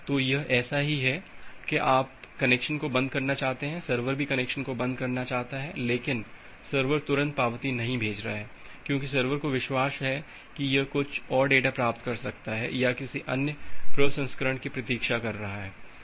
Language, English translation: Hindi, So, it is just like that you want to close the connection, the server also wants to close the connection, but server is not immediately acknowledging because, it has a belief that it may receive some more data or it is waiting for some other processing